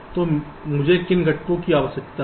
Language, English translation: Hindi, so what are the components i need